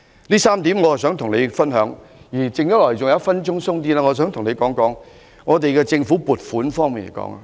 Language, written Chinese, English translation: Cantonese, 上述3點都是我想與司長分享的，而餘下約1分鐘時間，我想跟他談談政府撥款。, These are the three points that I would like to share with the Financial Secretary and in the remaining one minute I would like to discuss with him about government funding